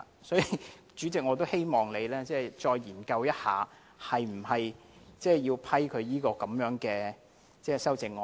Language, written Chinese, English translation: Cantonese, 所以，主席，我也希望你再研究一下，是否要批准他這項修正案。, For this reason Chairman I hope you will further study if he should be allowed to propose the amendment